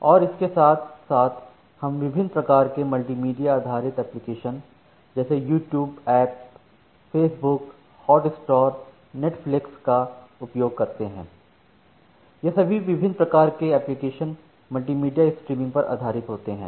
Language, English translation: Hindi, And we do different kind of multimedia based applications like this YouTube app like Facebook life then this Hotstar, Netflix all these different type of applications which use multimedia streaming of data